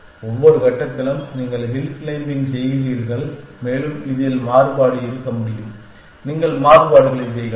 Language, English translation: Tamil, Each stage you do hill claiming and you can have variation on this you can work out variations